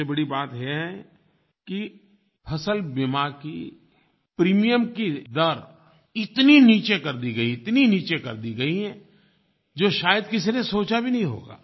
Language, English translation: Hindi, On the top of it, the insurance premium rate has been slashed to its lowest level which no one would have ever thought of